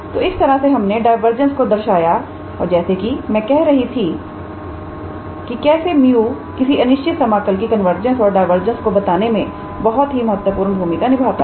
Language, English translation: Hindi, So, that is the way we show the divergence as I was saying having this value of mu is a very vital in order to ensure the convergence or divergence of the given improper integral